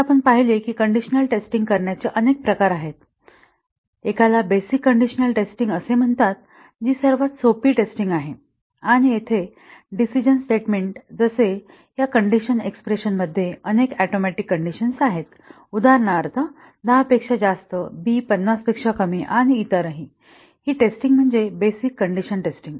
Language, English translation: Marathi, So, we saw that there are several types of condition testing, one is called as the basic condition testing that is the simplest testing, and here a decision statement like this the conditional expression consists of several atomic conditions, for example, a greater than 10, b less than 50, etcetera and this testing; the basic condition testing